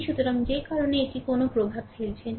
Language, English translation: Bengali, So, that is why it has it is not making any impact